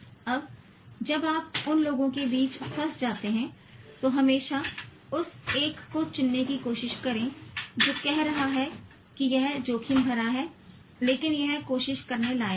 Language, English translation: Hindi, Now when you are caught between those two, always try to choose the one that is saying that it's risky but it's worth trying